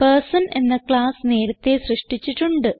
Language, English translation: Malayalam, I have already created a class Person